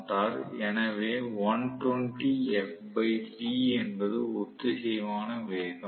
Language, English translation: Tamil, So, I have this synchronous speed with me